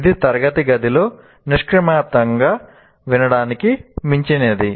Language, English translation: Telugu, It is not merely, it is beyond passive listening in a classroom